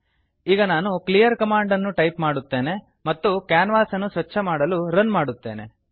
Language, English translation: Kannada, Let me typeclearcommand and run to clean the canvas